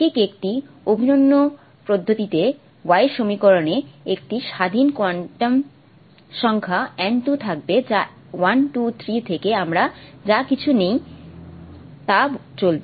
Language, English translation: Bengali, In an exactly in an identical manner the y equation will also have a free quantum number n2 which will run from 1 to 3 to whatever that we take